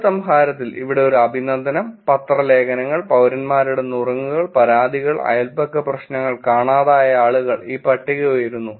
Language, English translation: Malayalam, In the conclusion here is an appreciation, newspaper articles, citizen tips and complaints, neighborhood problems, missing people and this list goes up